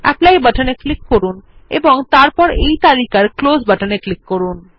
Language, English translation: Bengali, Click on the Apply button and then click on the Close button in this list